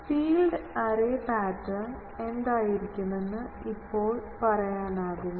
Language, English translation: Malayalam, Now, can I say that the field array pattern will be what